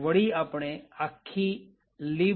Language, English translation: Gujarati, So the entire mylib